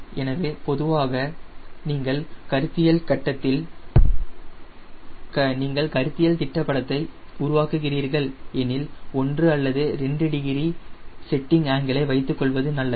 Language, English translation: Tamil, so generally, if you are doing a conceptual sketch, it is better to keep honor to degree wing setting angle